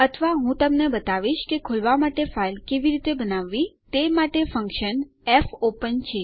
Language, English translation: Gujarati, Or what Ill show you is how to create a file for opening, which is the function fopen